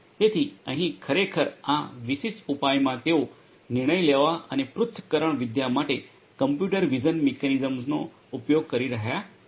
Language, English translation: Gujarati, So, here actually this particular solution they are using computer vision mechanisms for the decision making and analytics